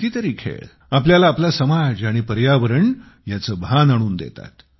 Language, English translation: Marathi, Many games also make us aware about our society, environment and other spheres